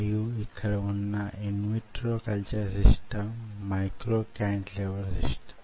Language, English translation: Telugu, and in vitro culture system out here is micro cantilever system